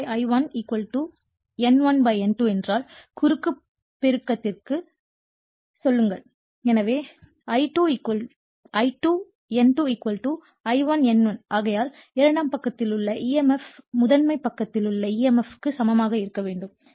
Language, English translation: Tamil, Suppose, if it is I2 / I1 = your N1 / N2 go for a cross multiplication therefore, I2 N2 = your I1 N1 right therefore, emf on the secondary side must be equal to the emf on the primary side right